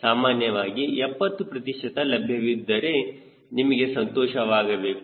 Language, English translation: Kannada, generally, seventy percent is available